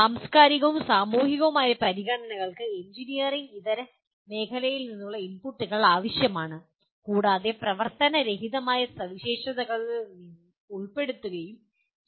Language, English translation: Malayalam, Cultural and societal considerations will require inputs from non engineering fields and incorporated into the non functional specifications